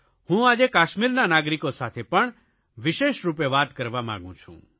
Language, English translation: Gujarati, I also wish today to specially talk to those living in Kashmir